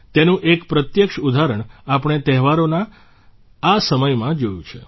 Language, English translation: Gujarati, We have seen a direct example of this during this festive season